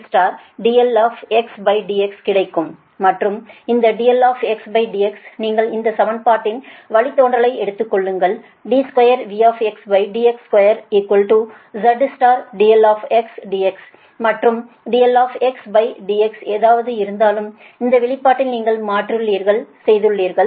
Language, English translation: Tamil, you take the derivative of this equation: d square, v x, d x square is equal to z into d i x upon d x, and whatever d i x upon d x is here you substitute in this expression, right, if you do so